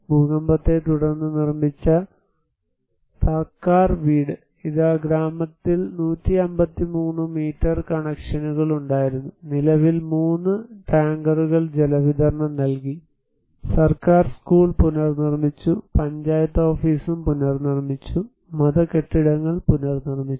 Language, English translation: Malayalam, Here is the Thakar house built after earthquake, there were 153 meter connections in the village, presently three tankers of providing water supply, they reconstructed government reconstructed the school, panchayat office was reconstructed also, religious buildings were reconstructed